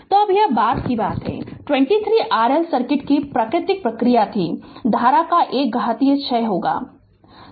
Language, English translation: Hindi, So, this thing now that 23 was natural response of the RL circuit is an is an exponential decay of the current right